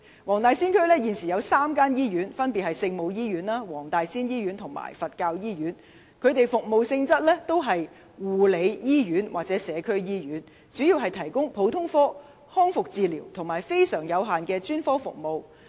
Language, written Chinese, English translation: Cantonese, 黃大仙區現時有3間醫院，分別是聖母醫院、東華三院黃大仙醫院和香港佛教醫院，其服務性質是護理醫院或社區醫院，主要提供普通科、康復治療和非常有限的專科服務。, There are currently three hospitals in Wong Tai Sin namely the Our Lady of Maryknoll Hospital the Tung Wah Group of Hospitals Wong Tai Sin Hospital and the Hong Kong Buddhist Hospital which are care hospitals or community hospitals by nature and mainly provide general rehabilitation and very limited specialist services